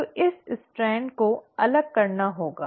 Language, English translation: Hindi, So this strand has to segregate